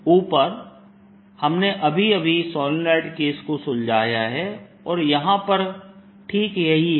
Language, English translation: Hindi, we just now solved the solenoid case, and that's precisely what this is